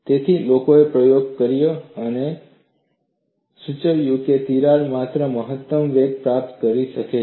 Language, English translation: Gujarati, So, people have conducted experiments and verified that the crack can attain only a maximum velocity